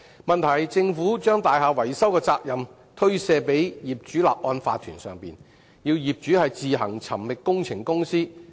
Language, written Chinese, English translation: Cantonese, 問題是，政府把大廈維修的責任推卸予業主立案法團，要業主自行尋覓工程公司。, The problem is the Government has shirked its responsibility of building maintenance and passed it to the owners corporations OCs so owners have to find works companies on their own